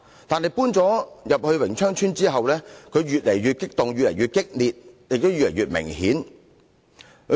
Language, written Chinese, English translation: Cantonese, 但是，搬進榮昌邨後，他變得越來越激動、越來越激烈，情況越來越明顯。, But he became increasingly emotional and violent after moving into Wing Cheong Estate